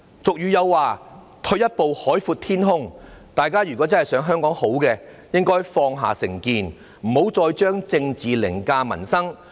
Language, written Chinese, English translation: Cantonese, 俗語有云："退一步海闊天空"，大家如果真的想香港好，就應該放下成見，不要再將政治凌駕民生。, As the common saying goes Take a little step back and you will find more space around you . If we really want Hong Kong to fare well we should set aside our prejudices and stop putting politics above peoples livelihood